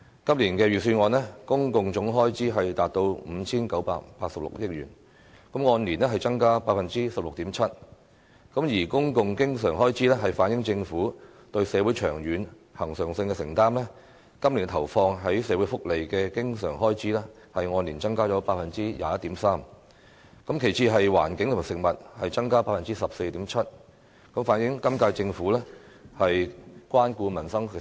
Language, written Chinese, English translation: Cantonese, 今年預算案的公共總開支達到 5,986 億元，按年增加 16.7%， 而公共經常開支反映政府對社會長遠及恆常的承擔，今年投放在社會福利的經常開支按年增加 21.3%， 其次是環境和食物，增加 14.7%， 反映本屆政府關顧民生需要。, The total public expenditure of this years Budget will reach 598.6 billion representing a year - on - year increase of 16.7 % . Recurrent public expenditure reflects the long - term and regular commitment of the Government to society . This year recurrent expenditure on social welfare will increase by 21.3 % followed by an increase of 14.7 % in expenditure on environment and food